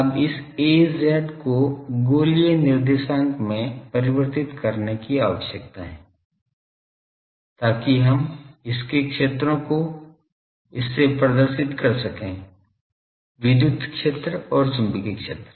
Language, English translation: Hindi, Now, this Az needs to be converted to spherical coordinate so that we can represent the fields from it, electric field and magnetic fields